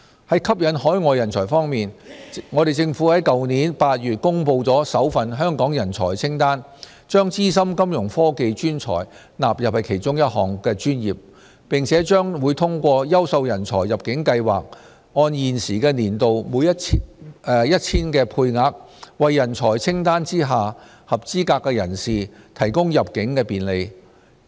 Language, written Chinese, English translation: Cantonese, 在吸引海外人才方面，政府在去年8月公布首份香港人才清單，將資深金融科技專才納入其中一項專業，並且將通過"優秀人才入境計劃"按現時年度 1,000 的配額，為人才清單下合資格人士提供入境便利。, In respect of enticing overseas talents the Government released its first Talent List of Hong Kong the List in August last year which included Fintech professionals . Eligible persons under the List will be provided with immigration facilitation through the Quality Migrant Admission Scheme the current annual quota of which is 1 000